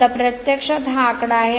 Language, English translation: Marathi, Now, this is actually figure